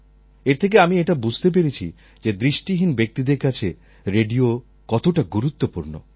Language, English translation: Bengali, This made me realize how important the radio is for the visually impaired people